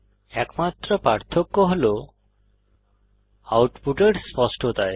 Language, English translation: Bengali, The only difference is in the precisions of outputs